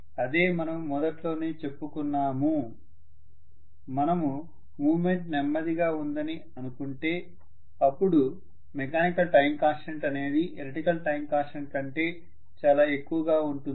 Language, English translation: Telugu, If you are considering a slower movement the mechanical time constant generally is much higher than the electrical time constant